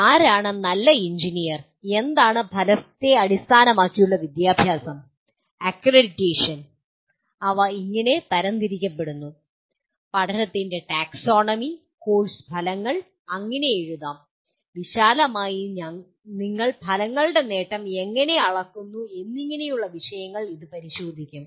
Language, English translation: Malayalam, This will look at issues like who is a good engineer, what is outcome based education, the accreditation, outcomes themselves how they are classified and taxonomy of learning, how to write course outcomes and broadly how do you measure the attainment of outcomes